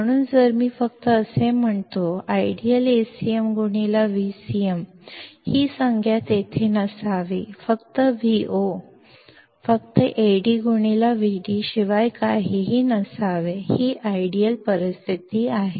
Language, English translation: Marathi, So, if I just say, ideally the term Acm into Vcm should not be there and Vo should be nothing but just Ad into Vd; this is the ideal situation